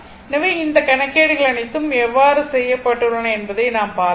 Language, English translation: Tamil, So, all this calculations how has been made I showed you